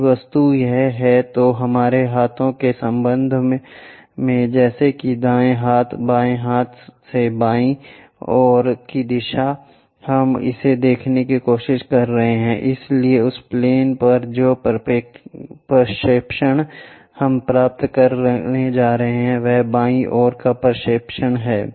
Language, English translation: Hindi, If the object is this, with respect to our hands like right hand, left hand from left side direction we are trying to look at it, so the projection what we are going to get on that plane is left side projection